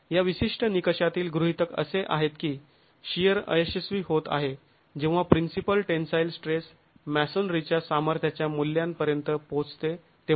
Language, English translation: Marathi, The hypothesis in this particular criterion is that sheer failure is occurring when the principal tensile stress reaches a value of the tensile strength of masonry